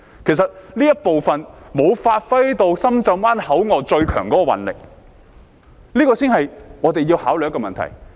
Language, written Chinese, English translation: Cantonese, 其實這方面沒有發揮到深圳灣口岸最強的運力，這才是我們要考慮的問題。, In fact in this regard we have not used the Shenzhen Bay Ports capacity to best effect and this is exactly the problem deserving our consideration